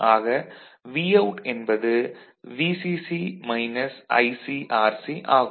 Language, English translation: Tamil, So, Vout is equal to VCC minus βFIBRC